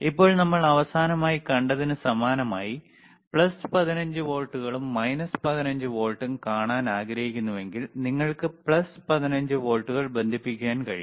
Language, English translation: Malayalam, Now, if you want to, if you want to see plus 15 volts and minus 15 volts, similar to last time that we have seen, what we can do can you can connect plus 15 volts